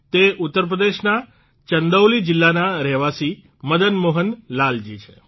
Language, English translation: Gujarati, This is Madan Mohan Lal ji, a resident of Chandauli district of Uttar Pradesh